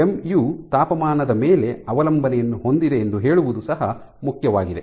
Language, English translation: Kannada, So, also important to say that mu has a dependency on the temperature